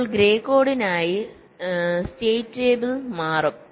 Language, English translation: Malayalam, now for grey code, the state table will change